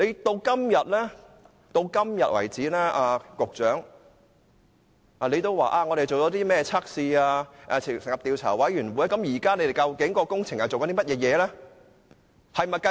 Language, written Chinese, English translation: Cantonese, 到今天為止，局長說進行了測試，政府當局也成立了調查委員會，但究竟港鐵公司現正進行甚麼工程？, As at today the Secretary said that a test has been conducted and the Administration has set up a Commission of Inquiry but what kind of works is MTRCL conducting now?